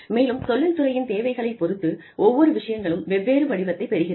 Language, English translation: Tamil, And, depending on the needs of the industry, things sort of, take on a different shape